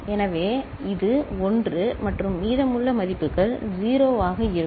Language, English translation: Tamil, So, this is the 1 right and rest of the values will be 0